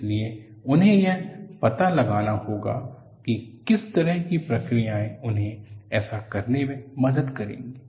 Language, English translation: Hindi, So, they have to find out, what kind of processes that would help them to do it